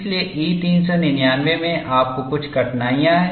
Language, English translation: Hindi, So, you have certain difficulties in E 399